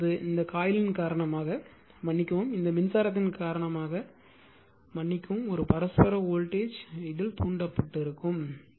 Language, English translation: Tamil, So, now, this one now because of this coil the sorry because of this current a mutual voltage will be induce in this